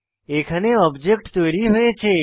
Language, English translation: Bengali, Here an object gets created